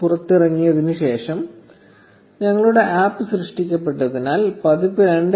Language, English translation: Malayalam, 6 is the current version and our APP was created after the version 2